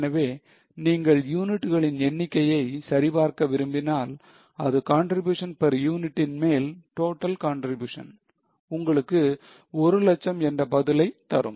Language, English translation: Tamil, So, if you check number of units by total contribution upon contribution per unit, you will get answer as 1 lakh